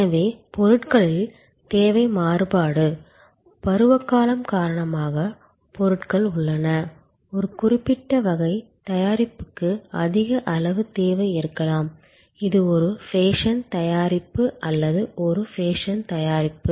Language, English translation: Tamil, So, demand variation in products, goods are there due to seasonality, there may be a higher level of demand for a particular type of product, which is a fashion product or a fad product